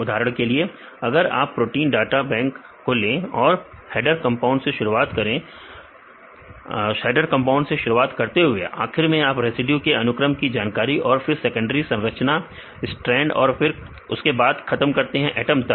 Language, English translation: Hindi, For example, if you take the protein data bank started with the header compounds finally, it go some to sequence residue information then secondary structure: helix strand then stop with the atoms right